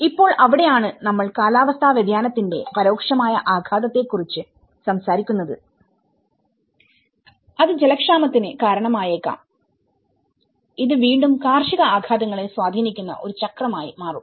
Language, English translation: Malayalam, And now, that is where we are talking about the indirect impact on the climate change aspects, which may result in the shortage of water, which will again turn into a cycle of having an impact on the agricultural impacts